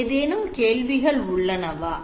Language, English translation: Tamil, Okay any questions